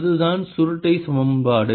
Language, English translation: Tamil, that's the curl equation